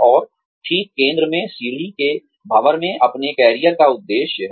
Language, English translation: Hindi, And, right in the center, right in the vortex of the staircase, is your career objective